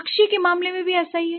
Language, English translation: Hindi, Similar is the case with bird